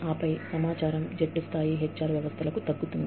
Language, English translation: Telugu, And then, the information percolates down, to the team level HR systems